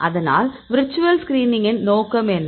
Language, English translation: Tamil, So, what is the aim of the virtual screening